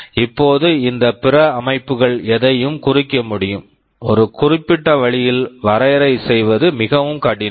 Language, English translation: Tamil, Now this “other systems” can refer to anything, it is very hard to define in a very specific way